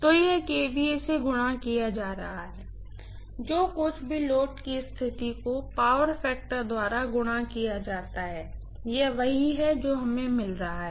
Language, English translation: Hindi, So, this is going to be kVA multiplied by whatever load condition multiplied by power factor, this is what we have got